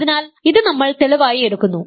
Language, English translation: Malayalam, So, this we will do in the proof